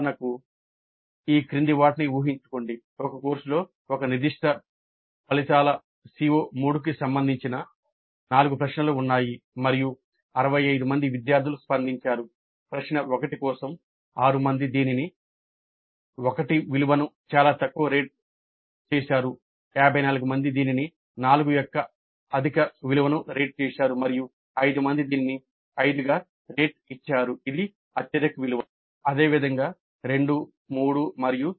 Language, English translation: Telugu, Assume that there were four questions related to one specific outcome CO3 in a course and 65 students responded and just let us assume that for question 1, 6 people rated it very low, a value of 1, 54 rated it reasonably high, a value of 4, and 5 rated it at 5 the highest value